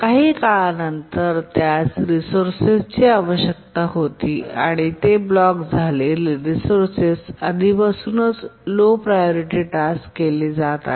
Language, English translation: Marathi, After some time it needed the resource and it blocked because the resource is already being held by the low priority task